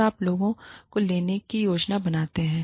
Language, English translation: Hindi, And, how you plan to take in, people